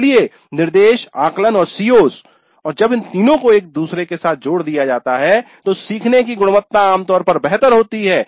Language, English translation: Hindi, So instruction, assessment and COs and when all these three are aligned to each other the quality of learning will be generally better